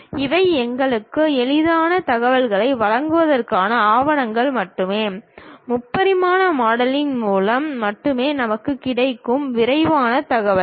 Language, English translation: Tamil, These are just a documentation to give us easy information, the detailed information we will get only through three dimensional modelling